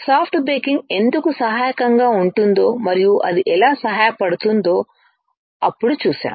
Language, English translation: Telugu, Then we have seen why soft baking can be helpful and how it is helpful